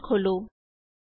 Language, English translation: Punjabi, Open the terminal